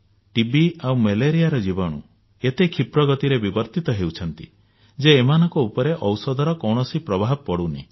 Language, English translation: Odia, Microbes spreading TB and malaria are bringing about rapid mutations in themselves, rendering medicines ineffective